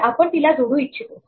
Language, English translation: Marathi, So, we want to append it